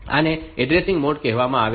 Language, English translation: Gujarati, Likes these are called addressing modes